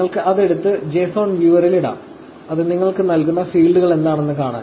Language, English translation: Malayalam, So, you can actually take it, and put it into the JSON viewer, to see what are the fields that it is actually giving you